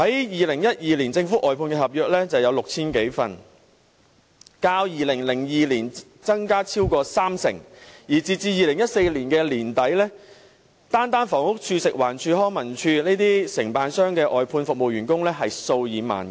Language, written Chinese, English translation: Cantonese, 2012年，政府外判合約共有 6,000 多份，較2002年增加超過三成，而截至2014年年底，單是房屋署、食物環境衞生署、康樂及文化事務署的外判服務員工便數以萬計。, In 2012 the total number of outsourced government contracts was 6 000 - odd up by more than 30 % when compared with 2002 . As at the end of 2014 the number of outsourced workers in the Housing Department the Food and Environmental Hygiene Department and the Leisure and Cultural Services Department LCSD alone stood at tens of thousands